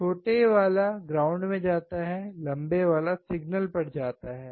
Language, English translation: Hindi, Shorter one goes to ground; Longer one goes to the signal